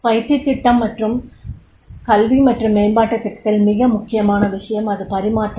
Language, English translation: Tamil, In the training program, education and development program, the most important point is that is a transference